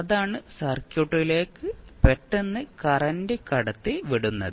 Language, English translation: Malayalam, So, that is the sudden injection of current into the circuit